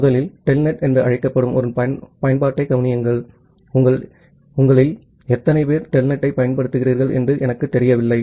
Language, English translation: Tamil, First of all consider an application called telnet, I am not sure how many of you have used telnet